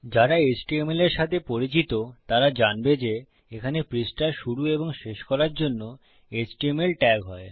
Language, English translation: Bengali, Those of you that are familiar with html will know that there are html tags to start your page and to end your page